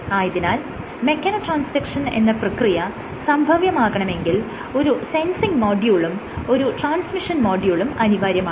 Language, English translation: Malayalam, So, and for mechanotransduction to occur you have a sensing module and a transmission module